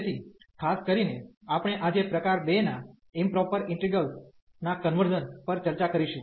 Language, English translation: Gujarati, So, in particular we will discuss today the convergence of improper integrals of type 2